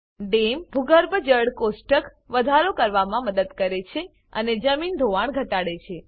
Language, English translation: Gujarati, Check dams helped in increasing the ground water table and reduce soil erosion